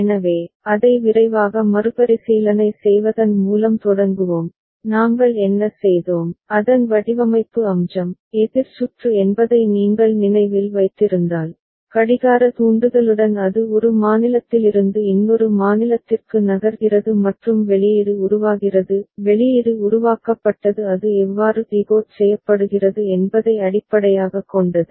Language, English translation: Tamil, So, we shall begin with a quick recap of that and whatever we had done, the designing aspect of it, the counter circuit if you remember that, with clock trigger it was moving from one state to another and output was generating output was generated based on how it was getting decoded ok